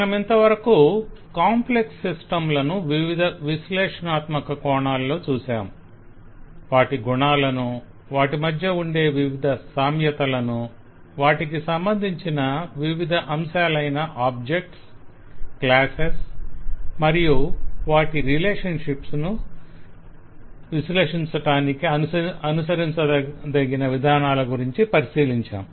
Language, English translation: Telugu, we have so far been taking different analytic looks into complex systems, their attributes and variety of commonalities and approaches that could be adopted to analyse this complex systems from various aspects of objects and classes and their relationships